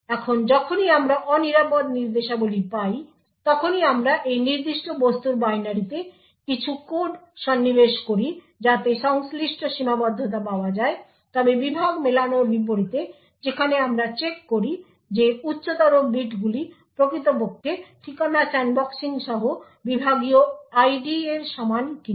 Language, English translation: Bengali, Now every time we find an unsafe instructions we insert some code into the binary of that particular object to ensure the corresponding confinement is obtained however unlike the Segment Matching where we check that the higher bits are indeed equal to the segment ID with Address Sandboxing we ensure with Address Sandboxing we set the higher bits of the target address of the unsafe instruction to the segment ID, so this is done as follows